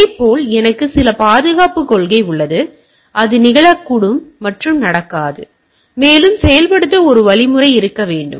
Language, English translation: Tamil, Like, so I have some security policy, this may happen this may not happen etcetera, etcetera and there should be a mechanism to enforce